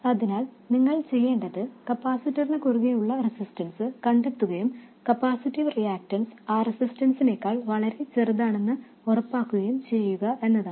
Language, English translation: Malayalam, So this is a first order system and all you have to do is to find out the resistance that appears across the capacitor and make sure that the capacitive reactance is much smaller than that resistance